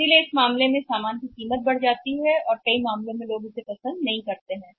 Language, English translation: Hindi, So, what happens in that case the price of the goods go up and in many cases people may not like it